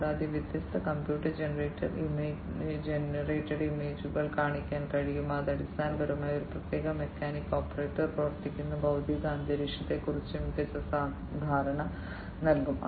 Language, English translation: Malayalam, And, different computer generated images can be shown and that basically will give a better perception of the physical environment in which that particular mechanic the operator is operating